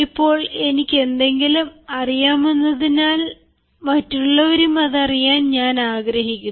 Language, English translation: Malayalam, now, since i know something, i would actually like to make others know it and the others also know it